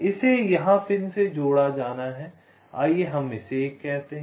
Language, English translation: Hindi, this has to be connected to a pin here, lets call it one